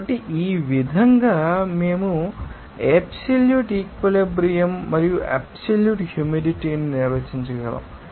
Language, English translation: Telugu, So, in this way, we can define absolute saturation and absolute humidity